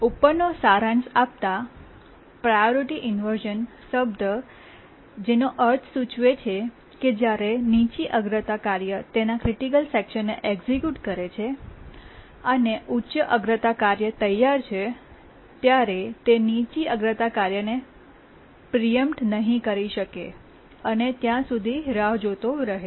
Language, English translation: Gujarati, The term priority inversion implies that when a low priority task is executing its critical section and a high priority task that is ready keeps on waiting until the low priority task can be preempted